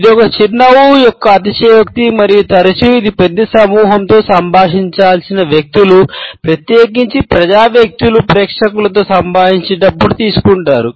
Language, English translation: Telugu, It is the exaggeration of a smile and often it is taken up by those people who have to interact with a large group of people, particularly the public figures while interacting with a crowd